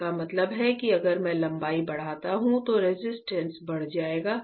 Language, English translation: Hindi, That means, that if I increase the length if I increase the length, my resistance will increase